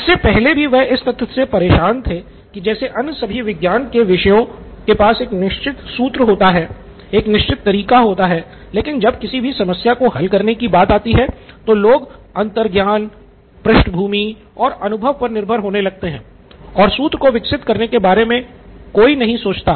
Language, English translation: Hindi, And now he was also bothered by the fact prior to this is that all the other sciences seem to have a certain formula, a certain way to do it except, when it came to problem solving people relied on intuition and a background and experience and people who they hung out with whatever or their own persona, etc etc